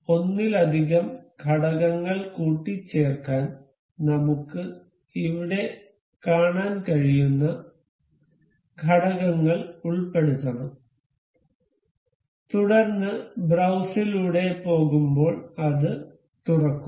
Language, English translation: Malayalam, To assemble multiple components we have to insert the components we can see here, then going through browse it will open